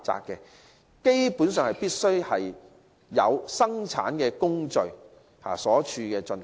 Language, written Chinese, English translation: Cantonese, 基本上，條款規定必須有生產工序在處所進行。, Basically it has been stipulated that production processes must be carried out in the premises